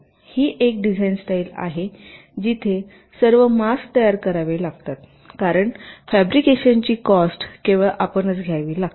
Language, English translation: Marathi, this is a design style where all the masks have to be created because the cost of fabrication has to be born by you only